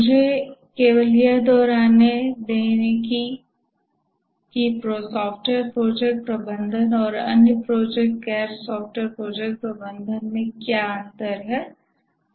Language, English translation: Hindi, Let me just repeat that what is the main difference between software project management and management of other projects, non software projects